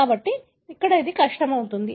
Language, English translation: Telugu, So, that’s where it becomes difficult